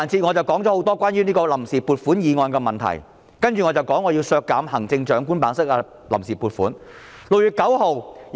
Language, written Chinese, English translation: Cantonese, 我說了很多關於臨時撥款決議案的問題，接着我要談談我削減行政長官辦公室臨時撥款的建議。, I have said a lot on the problems with the Vote on Account Resolution and next I will talk about my proposal on cutting the funds on account for the Chief Executives Office